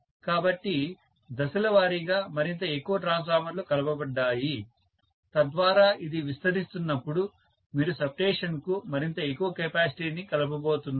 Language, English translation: Telugu, So step by step, more and more transformers were added so that as it expands you are going to have more and more capacity being added to the substation